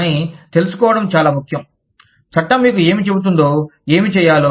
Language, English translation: Telugu, But, it is very important to find out, what the law tells you, to do